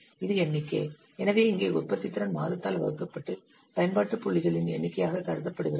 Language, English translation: Tamil, This is the number of, so here productivity is counted as number of application points divided by month